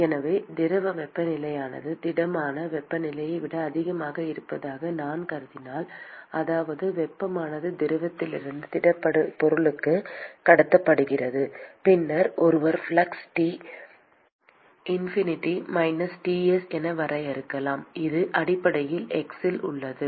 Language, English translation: Tamil, So, if I assume that the fluid temperature is higher than that of the solid temperature, which means that the heat is transported from the fluid to the solid, then one could define the flux as T infinity minus Ts, which is basically at x is equal to zero